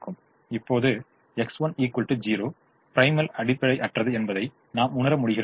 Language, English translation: Tamil, now we realize x one is equal to zero, non basic